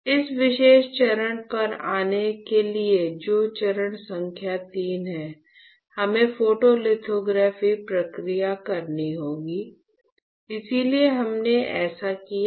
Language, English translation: Hindi, So, to come to this particular step which is step number III, we have to perform the photolithography process, so this is how we have done